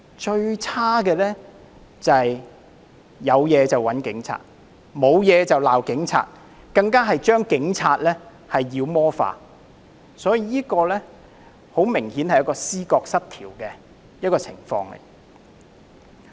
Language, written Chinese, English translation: Cantonese, 最差的是"有事就找警察，沒事就罵警察"，更將警察妖魔化，所以，這明顯是一種思覺失調的情況。, The worst is that they turn to the Police in times of trouble and upbraid them in times of peace and they even demonize police officers . So this is apparently a symptom of psychoses